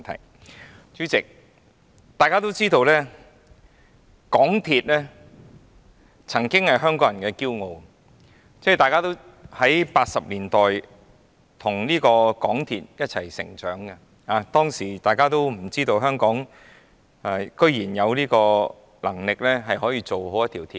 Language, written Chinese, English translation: Cantonese, 代理主席，大家都知道，港鐵曾經是香港人的驕傲，大家在1980年代與港鐵一起成長，當時我們都想象不到香港居然有能力建造一條地下鐵路。, Deputy President as we all know the MTR used to be something Hong Kong people were proud of . We grew up with the MTR in the 1980s . Never could we imagine at that time that Hong Kong was capable of constructing an underground railway